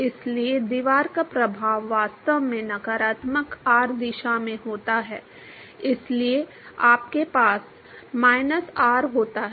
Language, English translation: Hindi, Therefore the effect of the wall is actually in the negative r direction that is why you have a minus r